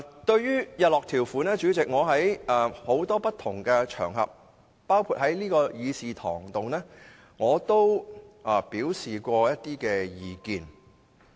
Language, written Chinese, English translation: Cantonese, 對於日落條款，代理主席，在多個不同場合上，包括在這個議事堂上，我也曾表示意見。, On the sunset clause Deputy Chairman I have expressed my views on a number of different occasions including in this Chamber